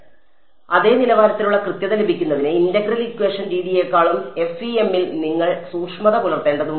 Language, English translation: Malayalam, So, to get the same level of accuracy you would need to discretize finer in FEM than integral equation method ok